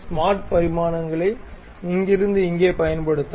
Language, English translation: Tamil, Use smart dimensions from here to here